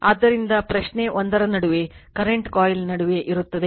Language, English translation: Kannada, So, question is in between one , between your current coil is there